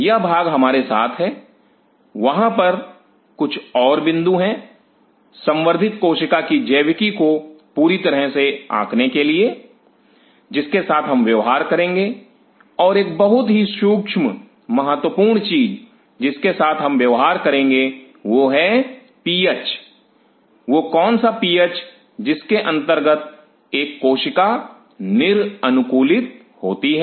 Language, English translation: Hindi, This part is there with us, there are few more points in order to completely appreciate the biology of the cultured cell; what we will be dealing with and one of the very critical important things what we will be dealing with is the PH under what PH a cell is an adapted to